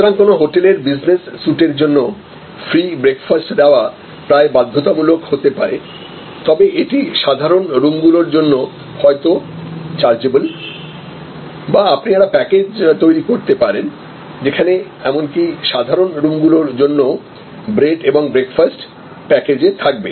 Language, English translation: Bengali, So, the giving a free breakfast make may be almost mandatory for a business sweet in a hotel, but it may be chargeable for normal rooms or you can create a package, which is bread and breakfast package even for normal rooms